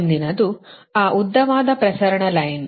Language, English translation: Kannada, next is that long transmission line